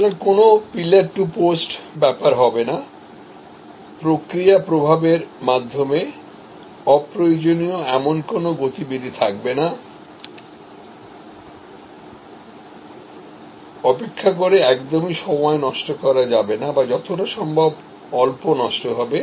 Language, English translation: Bengali, So, no pillar to post, no movement which is unnecessary through the process flow, no time spend waiting or as little time wasted in waiting as possible